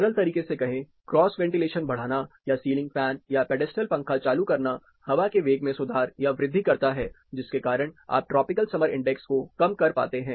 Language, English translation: Hindi, Say simple, enhancing cross ventilation, or turning on a ceiling fan, or a pedestal fan, you improve or increase the air velocity, because of which you are able to reduce tropical summer index